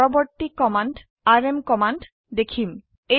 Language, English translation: Assamese, The next command we will see is the rm command